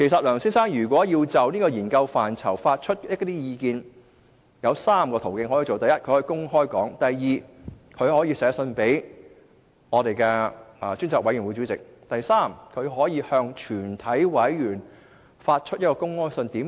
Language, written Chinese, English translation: Cantonese, 梁先生如要就研究範疇發表意見，可循以下3個途徑：第一，公開表達意見；第二，去信專責委員會主席；第三，向全體委員發出公開信。, If Mr LEUNG really wants to express his views on the areas of study he can do so through the following three channels first express his views publicly; second send a letter to the Chairman of the Select Committee; and third send a public letter to all committee members